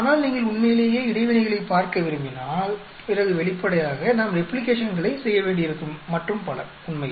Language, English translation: Tamil, But if you want to really look at interactions then obviously, we may have to do replications and so on actually